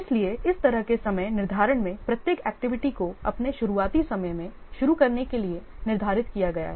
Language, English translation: Hindi, So, in this kind of scheduling, each activity has been scheduled to start at its earliest start time